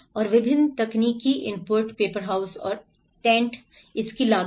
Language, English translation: Hindi, And different technological inputs, paper houses and tents, the cost of it